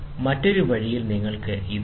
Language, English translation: Malayalam, On the other way round, you have this